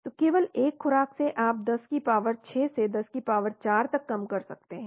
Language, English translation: Hindi, So by one single dose you are able to reduce from 10 power 6 to 10 power 4